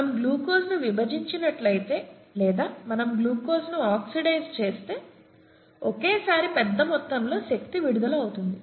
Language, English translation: Telugu, This happens because a large amount of energy in glucose, okay, if we split glucose, or if we oxidise glucose, a large amount of energy gets released at one time